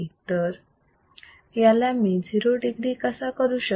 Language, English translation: Marathi, How can I make it 0 degree